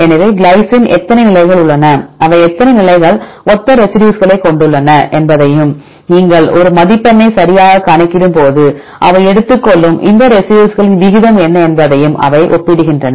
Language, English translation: Tamil, So, they compare how many positions the glycine occurs how many positions they have similar residues and what is the proportion of these residues they take into consideration when you calculate a score right